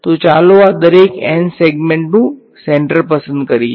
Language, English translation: Gujarati, So, let us choose the centre of each of these n segments